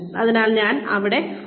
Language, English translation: Malayalam, So, I will use this here